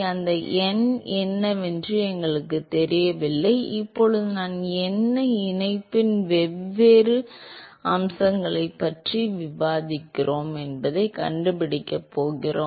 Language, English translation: Tamil, We do not know what that n is still now we are going to figure that out why we discuss different aspects of conjunction